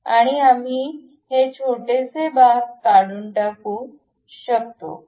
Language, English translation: Marathi, And we can remove this one these tiny portions